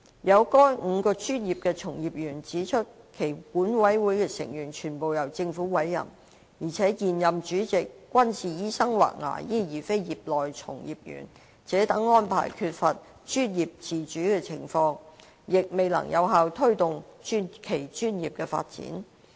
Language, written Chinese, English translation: Cantonese, 有該5個專業的從業員指出，其管委會的成員全部由政府委任，而且現任主席均是醫生或牙醫而非業內從業員；該等安排造成缺乏專業自主的情況，亦未能有效推動其專業的發展。, Some practitioners of those five professions have pointed out that all members of their boards are to be appointed by the Government and the incumbent chairmen are medical practitioners or dentists rather than practitioners of the respective professions . Such arrangements have resulted in a situation of professional autonomy lacking and are ineffective in promoting the development of their professions